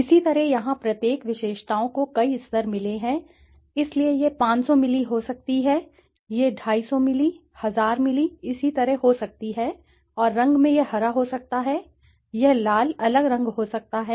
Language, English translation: Hindi, Similarly here each attributes has got several levels, so it could be 500ml, it could be 250ml, 1000ml, similarly, and in color it could be green, it could be red, different colors